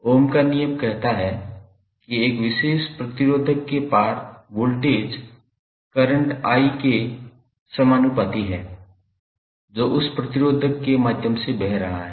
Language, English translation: Hindi, Ohm’s law says that, the voltage V across a particular resistor is directly proportional to the current I, which is flowing through that resistor